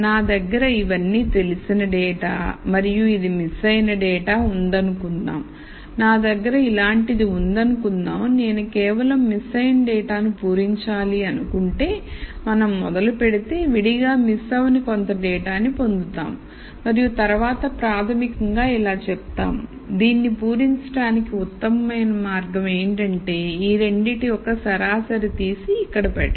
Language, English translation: Telugu, So, if I have let us say let us say these are all known data and let us say this is missing data and I have something like this I have something like this and if I let us say want to just fill in this missing data we start and then get this set of data separately where nothing is missing and then basically say the best way to really fill this is to take an average of these two and put it here